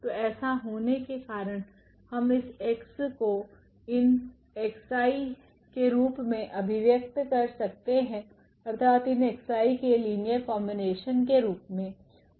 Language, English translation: Hindi, So, by taking this we have represented this x in terms of the x i’s; that means, the linear combination of these x i’s